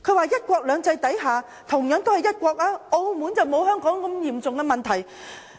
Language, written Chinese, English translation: Cantonese, 在"一國兩制"下，同樣都是一國，但澳門並沒有香港如此嚴重的問題。, It also said that under one country two systems Macao which is also under one country does not have such a serious problem as in Hong Kong